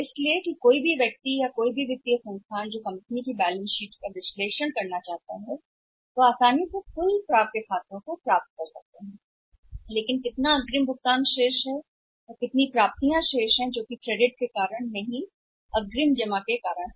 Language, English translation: Hindi, So, that anybody outside or any financial institution who wants to analyse balance sheet of the company they can easily make out of the total accounts receivables but part on account of credit and how much advance deposits have made remaining how are the accounts receivables which are not because of the credit because of the advance deposit